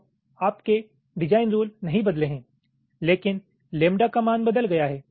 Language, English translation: Hindi, so your design rules have not changed, but the value of lambda has changed